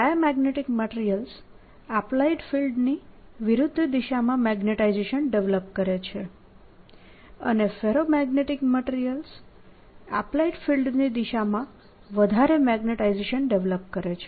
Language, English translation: Gujarati, diamagnetic materials: they develop a magnetization opposite to the applied field and ferromagnetic materials develop a large magnetization in the direction of applied field